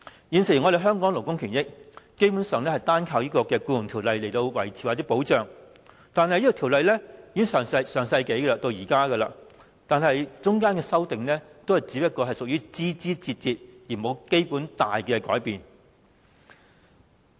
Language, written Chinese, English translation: Cantonese, 現時香港勞工的權益，基本上單靠《僱傭條例》來維持或保障，但條例自上世紀訂立至今，其間只有枝節上的修訂，並無甚麼重大改變。, At present labour rights in Hong Kong are maintained or protected mainly by the Employment Ordinance . Yet the Ordinance was enacted in the last century when amendments have since been made merely to minor matters and no major change has ever been introduced